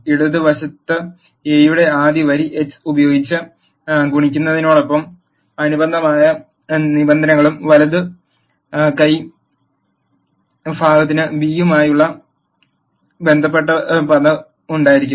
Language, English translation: Malayalam, And the left hand side will have terms corresponding to multiplying the first row of A with x and the right hand side will have the term corresponding to b